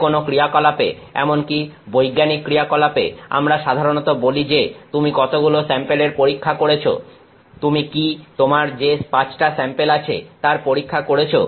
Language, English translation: Bengali, In any, even in a scientific activity we normally say that how many samples have you tested, have you do you have 5 samples that you have tested